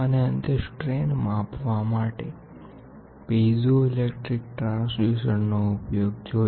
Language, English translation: Gujarati, And finally, we saw piezoelectric transducers how are they used to measure the strains